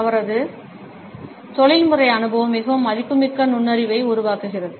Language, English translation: Tamil, His professional experience makes it a very valuable insight